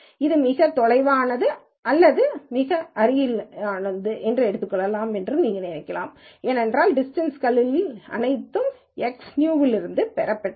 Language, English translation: Tamil, You can also think of this as closest to the farthest, because the distances are all from X new